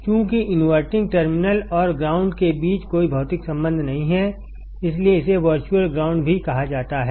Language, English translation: Hindi, As there is no physical connection between inverting terminal and ground, this is also called virtual ground